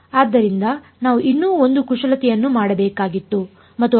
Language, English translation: Kannada, So, we had to do one more manipulation and that was